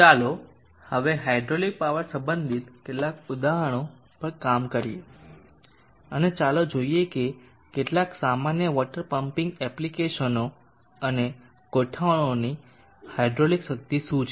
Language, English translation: Gujarati, Let us now work on some examples related to hydraulic power and let us see what is the hydraulic power of some common water pumping applications and arrangements